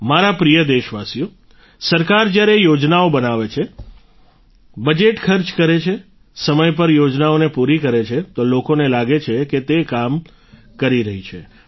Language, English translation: Gujarati, when the government makes plans, spends the budget, completes the projects on time, people feel that it is working